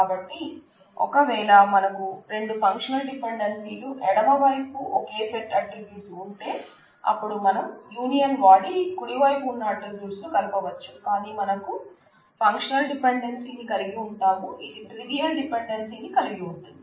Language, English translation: Telugu, So, if there are two functional dependencies which are the same left hand side set of attribute, then we can take the union of their right hand side attributes and that functional dependency will hold obviously, it is trivial to prove this